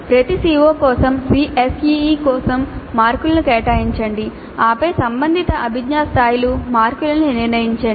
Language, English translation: Telugu, For each CO, allocate marks for ACE, then determine the marks for relevant cognitive levels